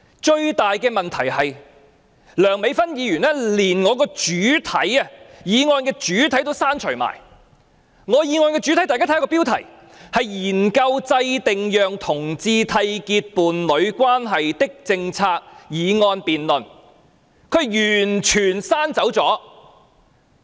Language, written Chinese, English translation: Cantonese, 最大的問題是，梁美芬議員連我的議案主題也刪除了，我的原議案主題，大家可看看標題，是"研究制訂讓同志締結伴侶關係的政策"議案辯論，她完全刪除了。, The biggest problem with Dr Priscilla LEUNGs amendment is that she has deleted the subject of my motion . The subject of my motion if Members look at the motion title is Studying the formulation of policies for homosexual couples to enter into a union . She has completely deleted it